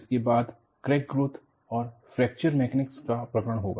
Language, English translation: Hindi, This would be followed by Crack Growth and Fracture Mechanisms